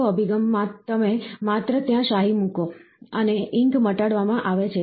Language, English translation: Gujarati, The third approach, you just drop ink there, and the ink is cured fine